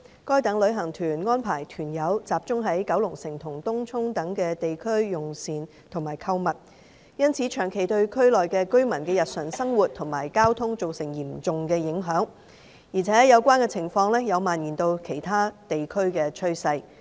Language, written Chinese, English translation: Cantonese, 該等旅行團安排團友集中到九龍城及東涌等地區用膳和購物，因此長期對區內居民的日常生活及交通造成嚴重影響，而且有關情況有蔓延至其他地區的趨勢。, As such tour groups arrange their tour group members to have meals and shop mainly at districts such as Kowloon City and Tung Chung serious impacts are caused persistently on the daily lives of the residents and the traffic in those districts and there has been a trend of such situation spreading to other districts